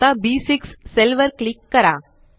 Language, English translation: Marathi, Now click on the cell B6